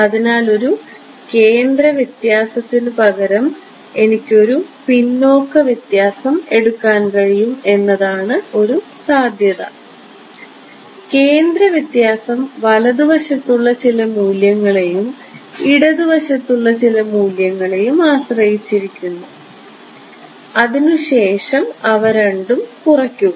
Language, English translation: Malayalam, So, one possibility is that I can take a backward difference instead of a centre difference; centre difference depends on some value to the right and some value to the left and subtract those two